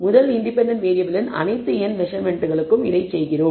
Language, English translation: Tamil, And we do this for all n measurements of the first independent variable